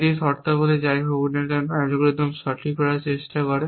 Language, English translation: Bengali, It terms out that whatever however tries to right this algorithms